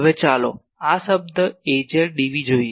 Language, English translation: Gujarati, Now, let us look this term Az dv